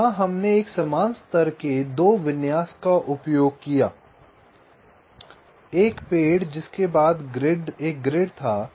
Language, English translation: Hindi, so there we used a similar kind of a two level configuration: a tree followed by a grid, so the global mesh